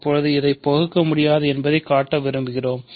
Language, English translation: Tamil, So, now, I want to show that it is irreducible